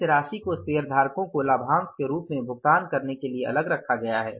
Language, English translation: Hindi, This amount has been kept aside to be paid as dividend to the shareholders